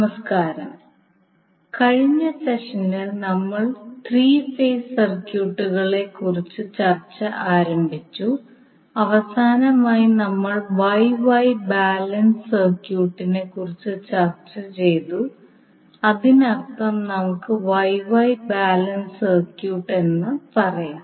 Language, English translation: Malayalam, Namaskar, so in last session we started our discussion about the 3 phase circuits and last we discussed about the star star balance circuit that means you can also say Wye Wye balance circuit